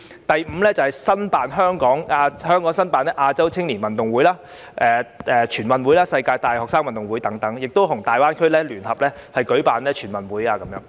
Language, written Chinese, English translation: Cantonese, 第五，爭取香港申辦亞洲青年運動會、全國運動會及世界大學生運動會等，並可與粵港澳大灣區聯合舉辦全運會。, Fifth strive for Hong Kongs bid to host the Asian Youth Games the National Games and the World University Games and to co - host the National Games with cities in the Guangdong - Hong Kong - Macao Greater Bay Area